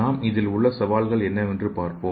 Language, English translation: Tamil, So let us see the what are the challengers